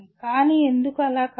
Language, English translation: Telugu, But why is it not so